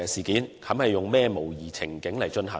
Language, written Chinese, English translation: Cantonese, 以甚麼模擬情景進行？, What kinds of simulated scenarios are used in such drills